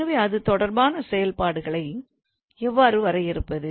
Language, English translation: Tamil, So how do we we define functions related to that